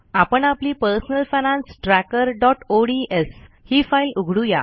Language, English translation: Marathi, Let us open our Personal Finance Tracker.ods file